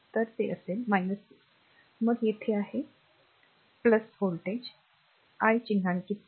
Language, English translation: Marathi, So, it will be minus 6 , then here it is your what you call plus ah your voltage I am not mark